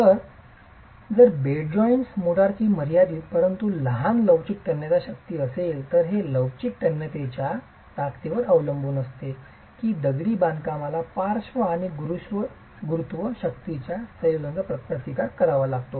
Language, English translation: Marathi, So, if bed joint, Morta has a finite but small flexual tensile strength, it depends on the flexual tensile strength that the masonry will have to resist a combination of lateral and gravity forces